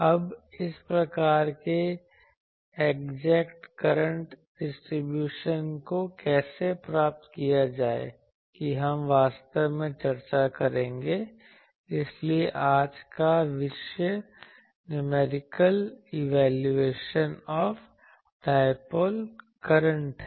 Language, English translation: Hindi, Now, how to get this type of exact current distribution; that we will discuss actually; so we will today’s topic is Numerical Evaluation of the Dipole Current